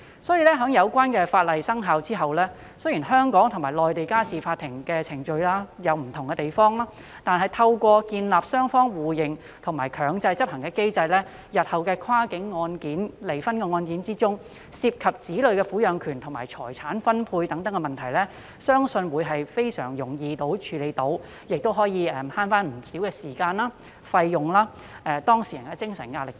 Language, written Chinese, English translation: Cantonese, 所以，有關法例生效後，雖然香港和內地的家事法律和程序有不同的地方，但透過建立雙方互認和強制執行的機制，日後的跨境離婚案件中涉及的子女撫養權和財產分配等問題，我相信將能非常容易地處理，亦可節省不少時間和費用，減輕當事人的精神壓力等。, As a result despite the differences in family laws and procedures between the two places once the Bill takes effect I believe that problems such as child custody and division of property can be easily settled under the reciprocal recognition and enforcement mechanism which will save time and cost and reduce the emotional distress of the parties